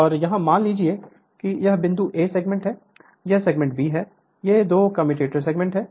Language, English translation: Hindi, And here suppose this point is A this segment, this segment is B these two are the commutator segments